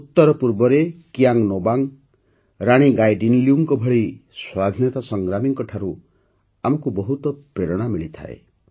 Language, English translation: Odia, We also get a lot of inspiration from freedom fighters like Kiang Nobang and Rani Gaidinliu in the North East